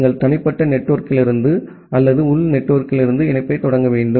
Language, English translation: Tamil, You need to initiate the connection from the private network or from the internal network